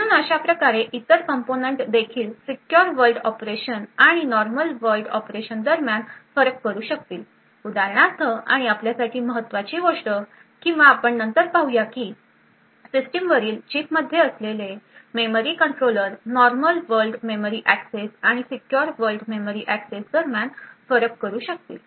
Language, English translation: Marathi, So thus other components would also be able to distinguish between a secure world operation and a normal world operation so for example and important thing for us or we will see later is that memory controller present in the System on Chip would be able to distinguish between memory access which is made to a normal world operation and a memory access made to a secure world operation